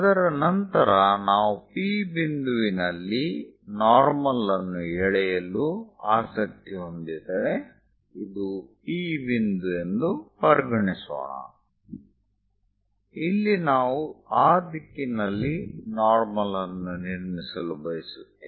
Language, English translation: Kannada, After that if we are interested in drawing a normal at a point P, let us consider this is the point P; here we would like to construct something like a normal in that direction